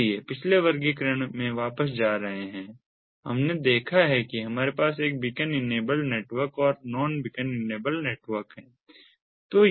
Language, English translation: Hindi, so, going back to the previous classification, we have seen that we have a beacon enabled network and the non beacon enablednetwork